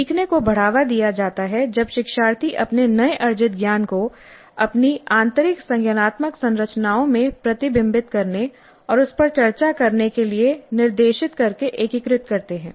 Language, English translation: Hindi, Learning is promoted when learners integrate their newly acquired knowledge into their internal cognitive structures by being directed to reflect and discuss it